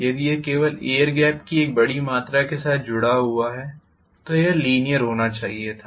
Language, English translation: Hindi, If it is only associated with a large amount of air gap it should have been linear